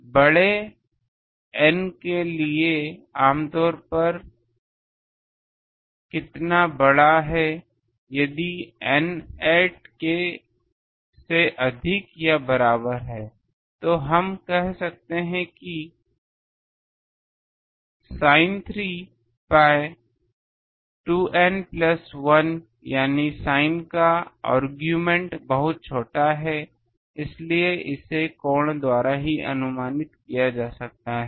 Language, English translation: Hindi, For large N for how large typically if N is greater than equal to 8, we can say that sin 3 pi 2 N plus 1 that is the argument of sin is very small, so it can be approximated by the angle itself